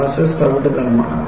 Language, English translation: Malayalam, Molasses is brown